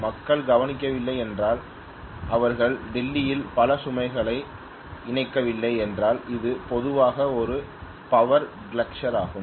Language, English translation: Tamil, So what is going to happen is, if people have not noticed and they have not switched off many of the loads in Delhi which is a power guzzler normally